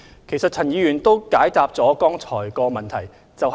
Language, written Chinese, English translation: Cantonese, 其實陳議員剛才已解答了該項補充質詢。, As a matter of fact Mr CHAN has already answered this supplementary question